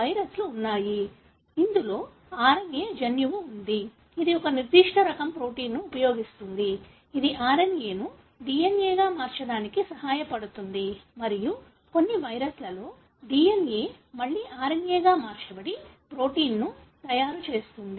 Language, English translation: Telugu, There are viruses, which has got the RNA genome, which uses a specific type of protein, which helps them to convert the RNA into DNA and in some viruses, the DNA again is converted to RNA to make protein